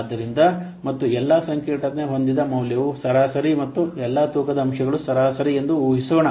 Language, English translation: Kannada, So, and assume that all the complexity adjustment values are average and all the weighting factors are average